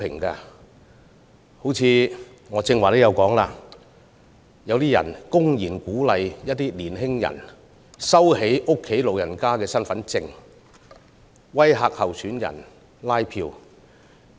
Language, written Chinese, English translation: Cantonese, 正如我剛才提及，有人公然鼓勵年輕人收起家中長者的身份證，並威嚇拉票的參選人。, As I said just now some have blatantly incited young people to withhold the identity cards of their old family members and intimidate those candidates who canvass votes